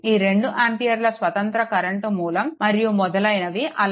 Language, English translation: Telugu, We have 2 your this 2 ampere independent current source and this thing